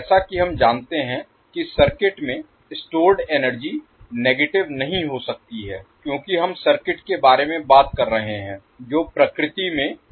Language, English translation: Hindi, The as we know the energy stored in the circuit cannot be negative because we are talking about the circuit which is passive in nature